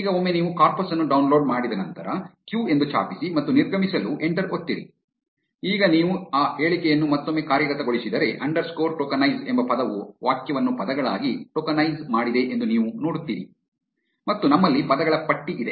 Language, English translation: Kannada, Now, once you are done with downloading the corpus, just type q and press enter to exit; now if you execute that statement again, you will see that word underscore tokenize has tokenized the sentence into words and we have a list of words